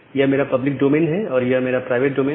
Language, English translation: Hindi, So, this is my public domain and this is my private domain